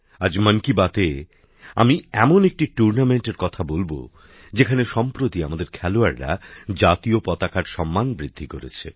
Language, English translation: Bengali, Today in 'Mann Ki Baat', I will talk about a tournament where recently our players have raised the national flag